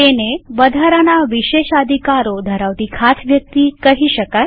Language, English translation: Gujarati, He is a special user with extra privileges